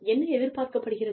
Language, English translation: Tamil, We tell them, what is expected